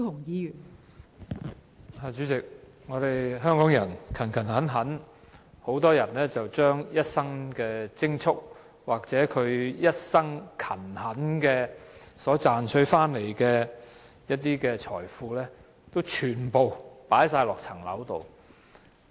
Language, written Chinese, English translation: Cantonese, 代理主席，香港人工作勤懇，很多人均將一生的積蓄或一生勤懇賺回來的財富，全部投放在物業上。, Deputy President workers in Hong Kong are hard - working . Many people will spend all of their lifetime savings or wealth they have made with toil on a property